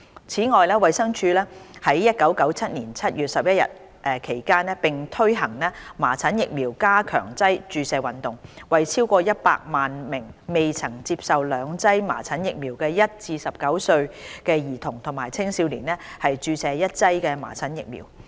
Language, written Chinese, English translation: Cantonese, 此外，衞生署於1997年7月至11月期間並推行"麻疹疫苗加強劑注射運動"，為超過100萬名未曾接受兩劑麻疹疫苗的1至19歲兒童和青少年注射一劑麻疹疫苗。, From July to November in 1997 the Department of Health conducted the Special Measles Vaccination Campaign under which a dose of measles - containing vaccine was given to over a million children and youngsters aged 1 to 19 who had not received the second dose of vaccine